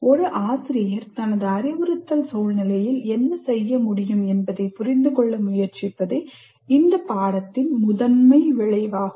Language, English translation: Tamil, So the major outcome of this unit is understand what the teacher can do in his instructional situation